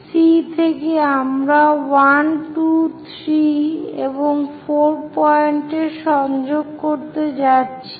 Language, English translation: Bengali, From from C, we are going to connect 1, 2, 3, and 4 points